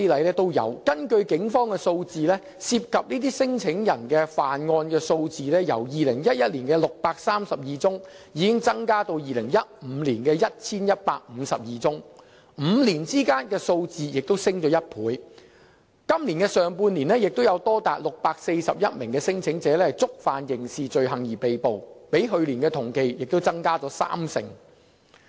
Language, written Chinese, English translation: Cantonese, 根據警方的數字，涉及這些聲請人的犯案數字，已由2011年的632宗增至2015年的 1,152 宗，數字在5年間升了1倍；今年上半年亦有多達641名聲請人因觸犯刑事罪行而被捕，比去年同期亦增加了三成。, Figures from the Police indicate that the number of crimes involving these claimants doubled from 632 in 2011 to 1 152 in 2015 in five years; as many as 641 claimants were arrested for criminal offence in the early half of this year representing an increase of 30 % from the same period last year